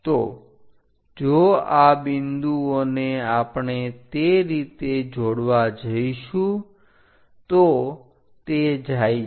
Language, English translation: Gujarati, So, if these points we are going to join in that way it goes